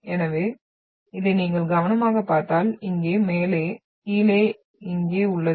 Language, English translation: Tamil, So if you carefully watch this, there is up here, down here, up here